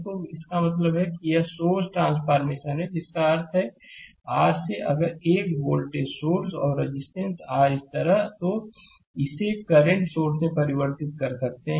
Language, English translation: Hindi, So, that means, this is the source transformation that means, from the your if you have a voltage source and resistance R like this, you can convert it into the current source right